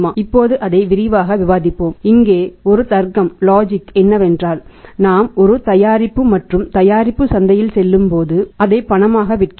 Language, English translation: Tamil, Now let us discuss it in some detail the logic here is that when we manufacture a product and product goes on the market we sell it on cash